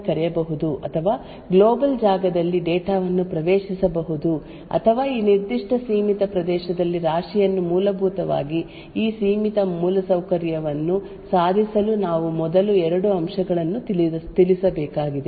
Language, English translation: Kannada, On the other hand functions one function in this confined area could directly call another function in this area or access data in the global space or heap in this particular confined area essentially in order to achieve this confined infrastructure we would require to address two aspects first how would we restrict a modules capabilities